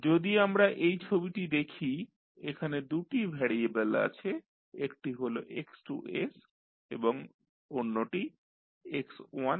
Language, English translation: Bengali, If we see this figure you have two variables one is x2s and another is x1s